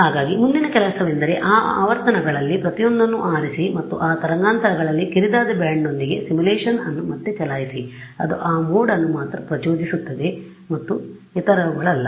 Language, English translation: Kannada, And so, the next thing I could do is pick each one of those frequencies and re run the simulation with the narrow band at those frequencies that will excide only that mode and not the others right